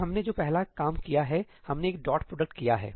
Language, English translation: Hindi, So, what is the first one we did we did a dot product